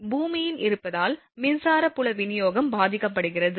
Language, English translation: Tamil, Therefore, the electric field distribution is affected by the presence of the earth